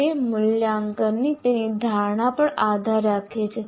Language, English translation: Gujarati, It depends on his perception of the assessment